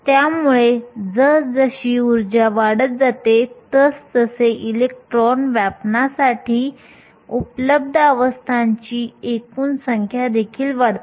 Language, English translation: Marathi, So, thus as the energy goes up the total number of available states for the electrons to occupy also go up